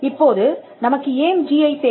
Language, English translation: Tamil, Now, why do we need GI